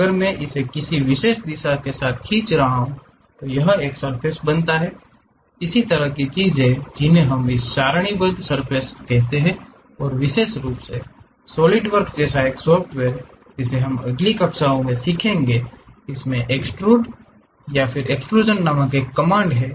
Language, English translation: Hindi, If I am dragging that along particular direction it forms a surface, that kind of things what we call this tabulated surfaces and especially, a software like SolidWork which we will learn it in next classes, there is a command named extrude or extrusion